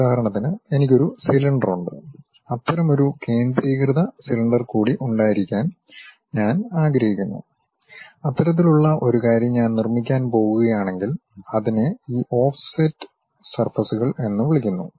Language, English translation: Malayalam, I would like to have one more concentric cylinder around that, if I am going to construct such kind of thing that is what we call this offset surfaces